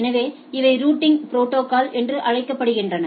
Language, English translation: Tamil, So, these are called Routing Protocols